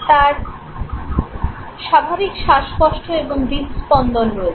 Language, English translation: Bengali, He has normal breathing and heartbeat